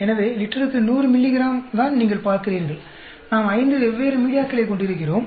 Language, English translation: Tamil, So, 100 milligrams per liter is what you are seeing, we are having five different media